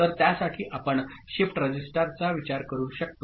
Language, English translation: Marathi, So, for that we can think of a shift register